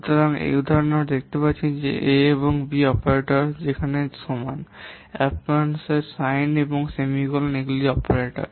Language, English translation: Bengali, So in this example you can see that A and B are the operands where as equal to ampersian sign and semicolon, these are the operators